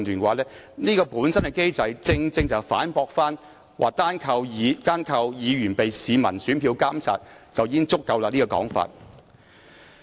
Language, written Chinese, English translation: Cantonese, 這項機制本身正正反駁了單靠市民以選票監察議員便已足夠的說法。, This mechanism itself has precisely refuted the statement that public scrutiny of Members with votes alone is already sufficient